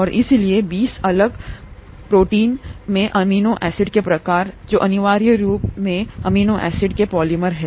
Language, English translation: Hindi, And therefore there are 20 different types of amino acids in the proteins which are essentially polymers of amino acids